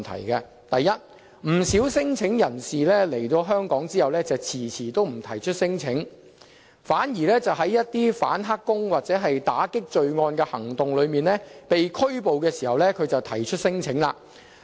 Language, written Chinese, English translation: Cantonese, 第一個問題是，不少聲請人士來港後遲遲不提出聲請，反而在一些反"黑工"或打擊罪案的行動中被拘捕時才提出免遣返聲請。, First many claimants do not lodge any non - refoulement claim even after they have stayed in Hong Kong for a long time yet they will do so once they are arrested in the course of law enforcement operations against illegal employment or criminal activities . A case brought to the Court of Final Appeal in 2014 serves as a reminder to us